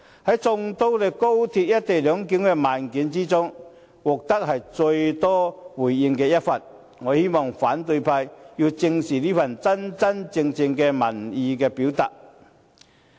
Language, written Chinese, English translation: Cantonese, 在眾多關於高鐵"一地兩檢"的問卷調查之中，這是獲得最多回應的一份，我希望反對派正視這份真真正正的民意表達。, Of all the questionnaires on the co - location arrangement mine is the one receiving the most numerous responses . I hope the opposition camp will treat my questionnaire very seriously as it really represents public opinions